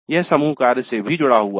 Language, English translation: Hindi, This is also related to teamwork